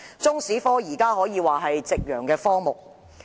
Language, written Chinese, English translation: Cantonese, 中史科現時可說是夕陽科目。, At present Chinese History can be regarded as a sunset subject